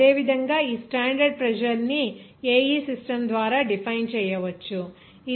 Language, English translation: Telugu, Similarly, this standard pressure can be represented by AE system it will be equivalent to 14